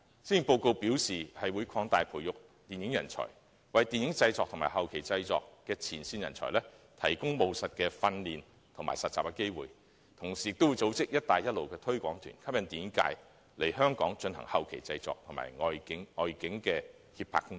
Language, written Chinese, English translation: Cantonese, 施政報告表示會擴大培育電影人才，為電影業的製作和後期製作的前線人才提供務實的訓練和實習機會，同時會組織"一帶一路"推廣團，吸引電影界來港進行後期製作和外景及協拍工作。, It is also indicated in the Policy Address that Hong Kong has to nurture more film talent and provide practical training or internship opportunities for frontline talent in the production and postproduction sectors of the film industry . Meanwhile Belt and Road promotional tours will be organized with a view to attracting film producers to come to Hong Kong for postproduction and location filming and production facilitation services